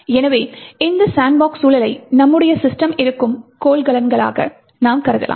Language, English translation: Tamil, So, you could consider this sandbox environment as a container in which our system is actually present